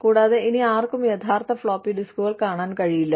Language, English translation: Malayalam, And, nobody ever gets to see, the real floppy disks, anymore